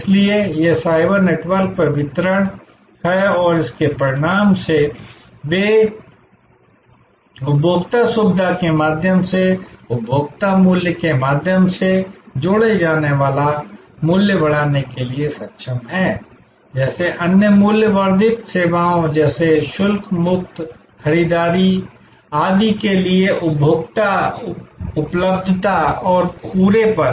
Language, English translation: Hindi, So, it is distribution over the cyber network and as a result, they are able to increase the value adds by way of consumer convenience, by way of consumer availability for other value added services like duty free shopping, etc